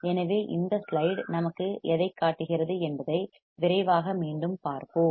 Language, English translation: Tamil, So, let us quickly see once again what this slide shows us this slide shows us few important points